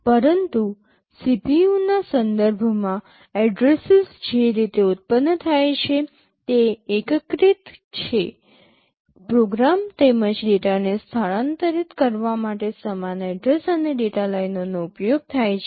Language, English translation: Gujarati, But with respect to the CPU the way the addresses are generated are unified, same address and data lines are used to transfer program as well as data